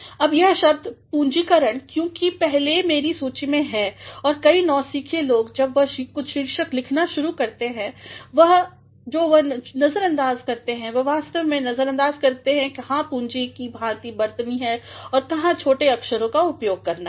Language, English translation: Hindi, Now, the word capitalization because that is first on my list and many of the novice people when they start writing certain titles, what they ignore is they actually ignore where to capitalize or where to make use of small letters